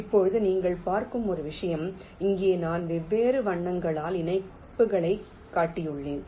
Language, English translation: Tamil, now one thing: you see that here i have shown the connections by different colors